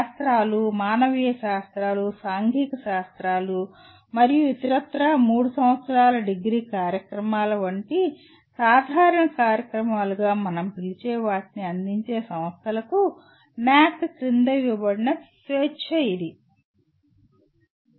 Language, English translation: Telugu, That is the kind of freedom given under NAAC for to institutions offering the, offering what we call as general programs, like a 3 year degree programs in sciences, humanities, social sciences and so on